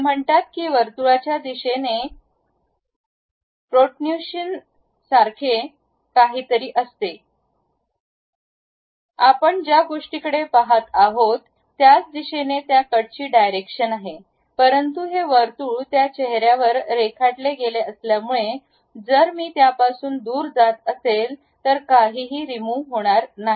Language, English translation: Marathi, It says that in the circle direction there is something like protrusion happen, that is, the direction of cut what we are going to really look at, but because this circle is drawn on that face if I am going away from that there is nothing to remove